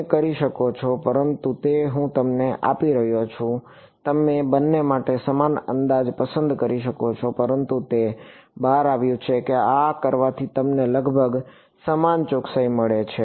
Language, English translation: Gujarati, You can, but it I am giving you even you can choose the same approximation for both, but it turns out that doing this gives you almost the same accuracy right